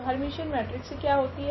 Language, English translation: Hindi, So, what is the Hermitian matrix